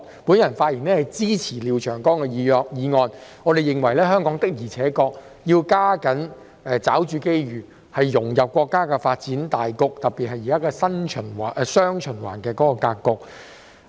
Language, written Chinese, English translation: Cantonese, 我發言支持廖長江議員的議案，並認為香港必須加緊抓住機遇，融入國家的發展大局，特別是現今的"雙循環"格局。, I speak in support of Mr Martin LIAOs motion and opine that Hong Kong should be more active in seizing the opportunities to integrate into the development of the country especially the current strategy of dual circulation